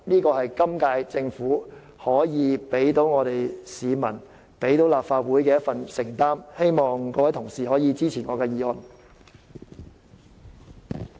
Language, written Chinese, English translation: Cantonese, 這是今屆政府可以對市民和立法會作出的承擔，希望各位同事支持我的議案。, This is a commitment that the current Government can make to the public and the Legislative Council . I hope Honourable colleagues will support my motion